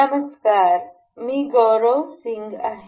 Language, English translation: Marathi, Hello everyone, I am Gaurav Singh